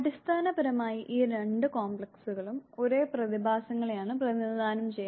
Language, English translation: Malayalam, Basically these two complexes represent the same phenomena